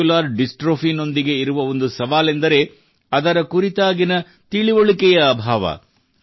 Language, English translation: Kannada, A challenge associated with Muscular Dystrophy is also a lack of awareness about it